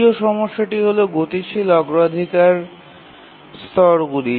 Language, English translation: Bengali, And the second issue is the dynamic priority levels